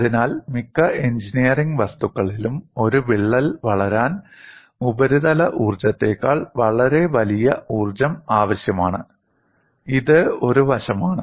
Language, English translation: Malayalam, So, in most engineering materials, energy much larger than the surface energy is required to grow a crack; this is one aspect